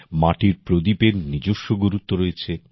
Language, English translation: Bengali, Earthen lamps have their own significance